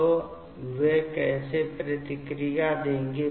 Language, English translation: Hindi, So, how will they react